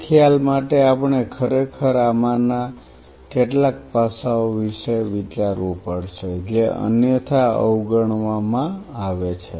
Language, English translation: Gujarati, For that concept we have to really think about some of these aspects which otherwise is kind of overlooked